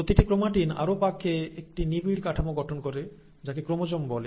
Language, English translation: Bengali, Now each chromatin further twists and folds to form a very compact structure and that is what you call as chromosome